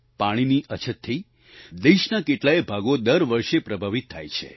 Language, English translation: Gujarati, Water scarcity affects many parts of the country every year